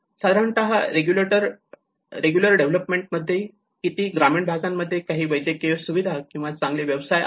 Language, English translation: Marathi, Normally in a regular development context itself how many of the rural villages do have some medical facilities or a good professionals